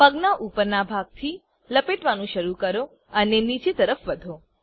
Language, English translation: Gujarati, Start rolling from the upper portion of the leg and move downwards